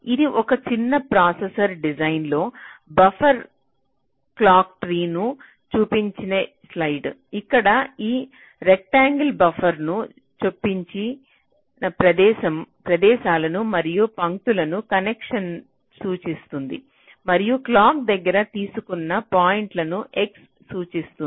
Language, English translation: Telugu, so this is just a sample slide showing a buffered clock tree in a small processor design, where this rectangles indicate the places where buffers have been inserted, ok, and the lines indicate the connections and the x indicates the points where the clock has been taken